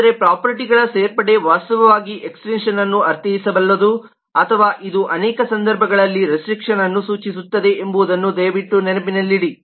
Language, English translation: Kannada, but please keep in mind that the addition of properties could actually mean extension or it could mean restriction in many cases as well